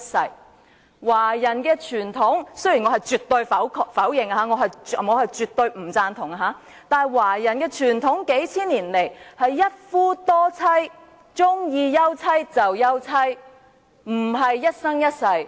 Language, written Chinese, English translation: Cantonese, 數千年以來，華人的傳統——雖然我絕對否定、絕對不贊同——是一夫多妻，喜歡休妻便休妻，並非一生一世。, For a few thousand years the Chinese tradition is―though I absolutely disapprove of it and absolutely disagree with it―polygamy whereby a man could divorce his wife as he liked not a lifetime marriage